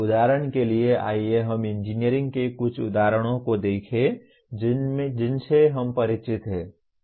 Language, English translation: Hindi, For example, let us look at some examples in engineering that we are familiar with